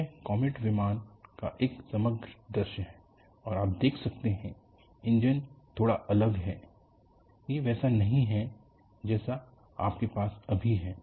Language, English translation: Hindi, This is the overall view of the Comet aircraft, and you can see the engines are slightly different; it is not like what you have now